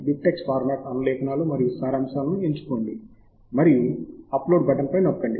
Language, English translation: Telugu, choose bibtex format, citations and abstracts and click on the button export to save the results